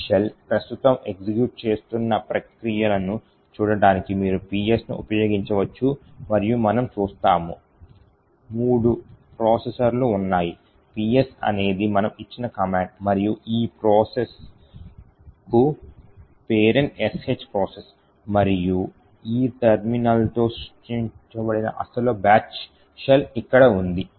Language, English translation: Telugu, So, this shell is the SH shell so we can do all the shell commands you can also look at PS that is the processes that are executing in this shell and we see that, infact, there are three processes, PS is the process that is the command that we have given and the parent for this process is the SH process and the original batch shell which was created with this terminal is present here